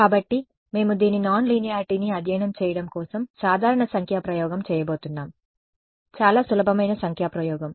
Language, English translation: Telugu, So, to study this nonlinearity we are going to do a simple numerical experiment ok, very simple numerical experiment